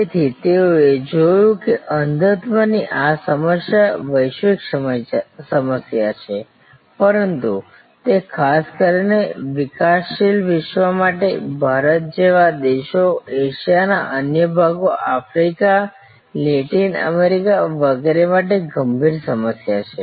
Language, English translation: Gujarati, So, they looked at that this problem of blindness is a global problem, but it is particularly an acute problem for the developing world, for countries like India, other parts of Asia, Africa, Latin America and so on